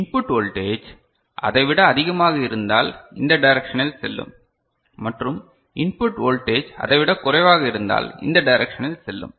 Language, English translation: Tamil, If the input voltage is more than that will go this direction and if the input voltage is less than that we shall go in this direction